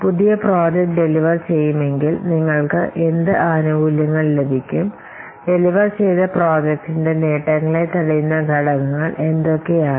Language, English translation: Malayalam, So, if the new project will be delivered, so what benefits will get and which factors will threaten to get these benefits of the delivered project